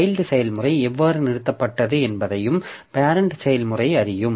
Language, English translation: Tamil, So, parent process will also know how the child process terminated